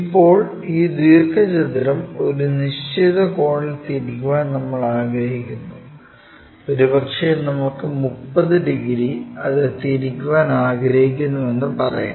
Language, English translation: Malayalam, Now, we would like to rotate this rectangle by certain angle, maybe let us say 30 degrees we would like to rotate it, this one 30 degrees